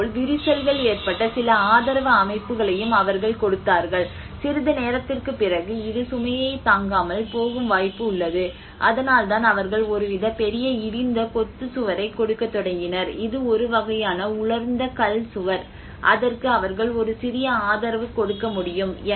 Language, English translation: Tamil, \ \ \ And similarly, they also given some support systems where there has been cracks and there is a possibility that this may not bear the load after some time that is where they started giving some kind of huge rubble masonry wall, not masonry, it is a kind of dry stone wall which they have able to give a little support on that